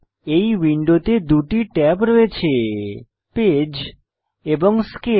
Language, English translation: Bengali, This window contains two tabs Page and Scale